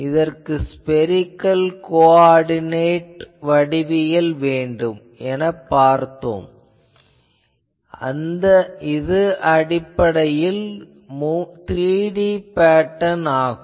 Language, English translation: Tamil, So, for pattern measurement we have seen that spherical coordinate geometry is required and you can have basically it is a 3D pattern